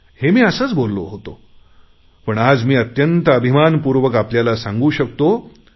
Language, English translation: Marathi, I had said it just like that, but today I can say with confidence that I am indeed very proud of you all